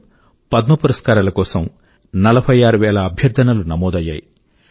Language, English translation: Telugu, This year over 46000 nominations were received for the 2020 Padma awards